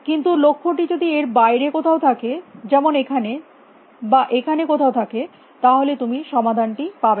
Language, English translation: Bengali, But if the goal happens to be outside that like here which could be somewhere here, and find the solution